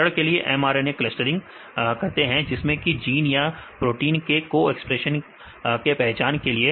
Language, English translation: Hindi, For example genes are clustered the mRNA expression, to identify the co expressing genes and so, are the proteins